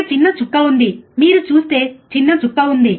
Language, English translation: Telugu, there is a small dot there is a small dot you see